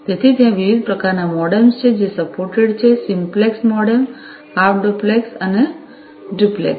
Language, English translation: Gujarati, So, there are different types of MODEMs that are supported; simplex modem, half duplex, and duplex